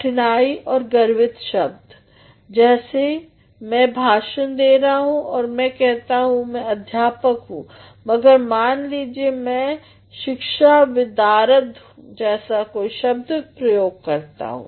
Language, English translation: Hindi, Difficult and pompous words, I am giving a lecture here and I say that I am a teacher, but suppose I use a word like I am a pedagogue